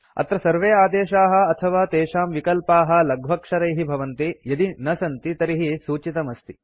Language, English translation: Sanskrit, Here all commands and their options are in small letters unless otherwise mentioned